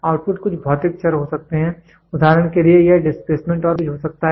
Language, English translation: Hindi, The output is some physical variable example it can be displacement and voltage